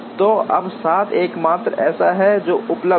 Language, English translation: Hindi, So, now, 7 is the only one that is available